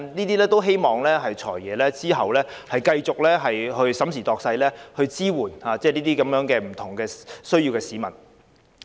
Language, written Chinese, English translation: Cantonese, 我們希望"財爺"之後繼續審時度勢，考慮這些安排，從而支援有不同需要的市民。, We hope that the Financial Secretary will consider these arrangements and keep in view the current situation so as to provide support for members of the public with various needs